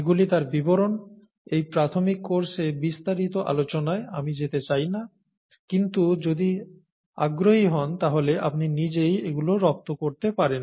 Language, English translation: Bengali, These are details, I don’t want to get into details in this introductory course, however if you’re interested you can get into these by yourself